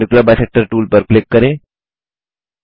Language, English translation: Hindi, Click on the Perpendicular bisector tool